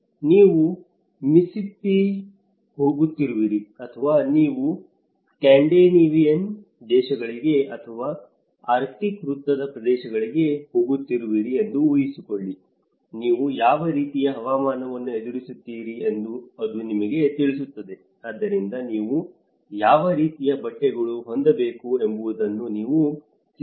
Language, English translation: Kannada, It can tell imagine, you are going to Mississippi or you are going to the Scandinavian countries or the arctic circle areas, it will tell you what kind of climate you are going to face so, you may have to prepare what kind of clothes you have to purchase, we have to buy you know for the harsh living conditions you may have to cope up with 20, 30 degrees